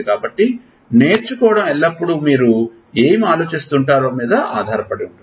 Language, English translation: Telugu, So, learning does not always go on with lot of thinking what you